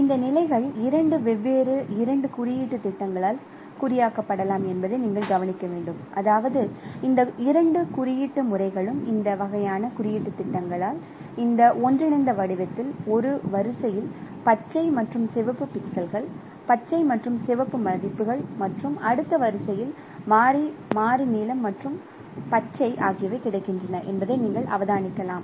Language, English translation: Tamil, So you should note that this could be, this positions could be encoded by two different two indexing schemes, I mean two indexing and by this kind of indexing schemes you can observe that in this interlept pattern one row has the alternations of green and red pixels green and red values and in the next row alternately blue and greens are available so we can consider the row where red samples are available along with green that is red row and the row where blue samples are available along with green that is blue row